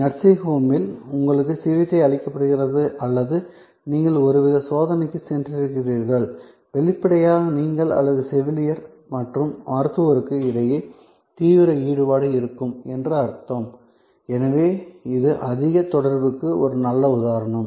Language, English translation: Tamil, So, nursing home, where you are getting treated or you have gone for some kind of check up; obviously, means that between you and the nurse and the doctor, there will be intense engagement, so this is high contact, a good example